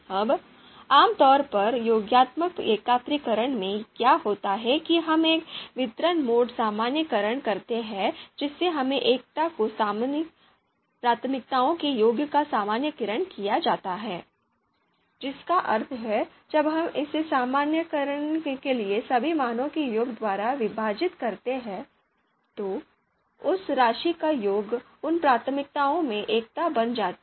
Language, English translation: Hindi, Now what typically happens in additive aggregation is that we do a distributive distributive mode normalization wherein the the normalization of the sum of local priorities to unity is done that means when we we divide it by the summation of you know all the values for normalization step, then that actually sum of those of priorities becomes priorities becomes unity